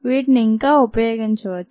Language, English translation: Telugu, they could still be used